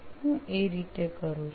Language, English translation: Gujarati, That is how I am doing